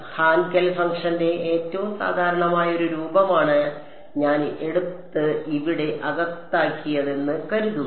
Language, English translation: Malayalam, Supposing I take this most general form of Hankel function and put inside over here